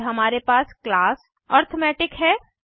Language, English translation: Hindi, Then we have class arithmetic